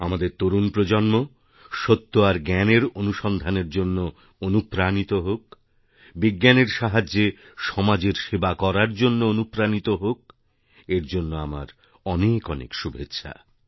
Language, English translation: Bengali, May our young generation be inspired for the quest of truth & knowledge; may they be motivated to serve society through Science